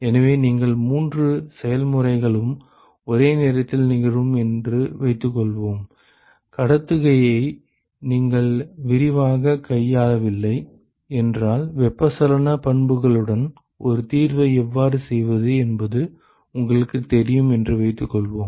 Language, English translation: Tamil, So, suppose you have all three processes occurring simultaneously; if you not dealt with conduction in detail, but let us say assume that you know how to work a workaround with convection properties